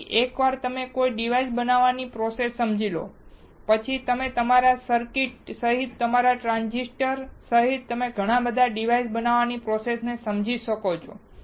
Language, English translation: Gujarati, So, once you understand the process of fabricating a device, then you can understand the process of fabricating lot of other devices including your transistors including your circuits